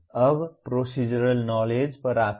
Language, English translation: Hindi, Now come to Procedural Knowledge